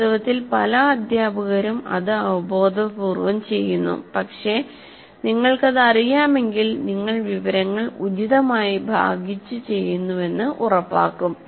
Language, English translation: Malayalam, Actually, many teachers do that intuitively, but if you are aware of it, you will definitely make sure that you change the information appropriately